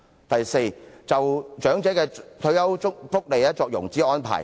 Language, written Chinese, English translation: Cantonese, 第四，政府應就長者的退休福利作融資安排。, Fourth the Government should make financing arrangements for retirement benefits of the elderly